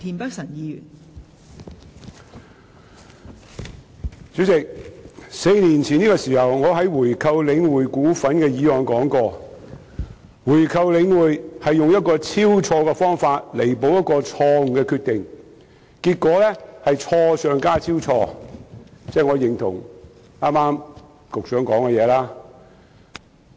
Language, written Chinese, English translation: Cantonese, 代理主席 ，4 年前的這個時候，我在討論有關購回領匯股份的議案時說過，購回領匯是以超錯的方法彌補錯誤的決定，結果是錯上加錯，即我認同局長剛才的說話。, Deputy President four years ago when I discussed the motion on buying back the shares of The Link Real Estate Investment Trust The Link I stated that to buy back The Link was a terribly wrong method to rectify a wrong decision for the result would be two wrongs . In other words I subscribe the remarks made by the Secretary just now